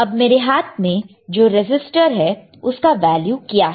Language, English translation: Hindi, Now what is the value of this resistor right